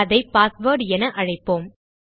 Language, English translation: Tamil, And its called password